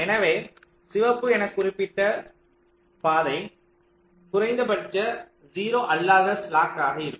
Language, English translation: Tamil, so the path marked red, that will be the minimum non zero slack